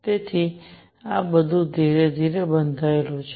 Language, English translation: Gujarati, So, all this built up slowly